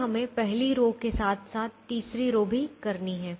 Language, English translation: Hindi, then we have to do the first row as well as the third row